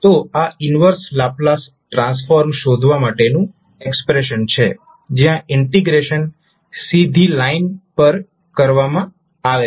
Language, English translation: Gujarati, So, this would be the expression for finding out the inverse Laplace transform where integration is performed along a straight line